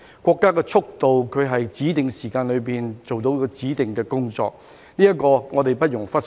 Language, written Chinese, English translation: Cantonese, 國家的速度是在指定時間內做到指定的工作，這點我們不容忽視。, It is the pace of the country to get specified tasks done within specified time which should not be overlooked